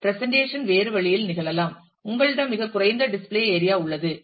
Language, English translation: Tamil, The presentation itself may happen in a different way, you have a very limited display area